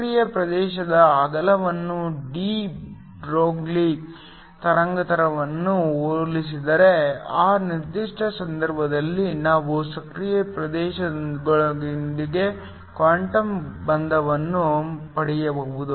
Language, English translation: Kannada, If the width of the active region is comparable to de Broglie wavelength, in that particular case we can get quantum confinement within the active region